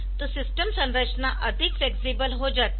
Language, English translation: Hindi, So, system structure becomes more flexible